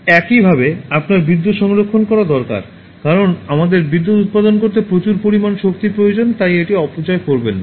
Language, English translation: Bengali, In a similar manner, you need to conserve electricity, because we need so much of energy to produce electricity, so do not waste that